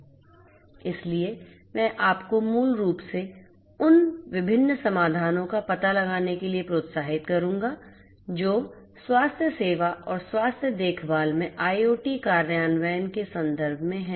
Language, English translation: Hindi, So, I would encourage you to basically explore the different solutions that are there in terms of healthcare and the IoT implementations in healthcare